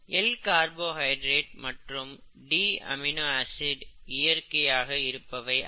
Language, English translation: Tamil, So L carbohydrates and D amino acids are not natural, usually, okay